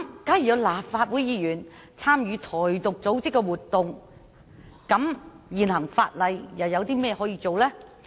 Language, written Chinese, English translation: Cantonese, 假如有立法會議員參與"台獨"組織的活動，現行法例可如何作出處理呢？, In case a Legislative Council Member has participated in the activities of an organization advocating Taiwan Independence what can be done under the existing legislation?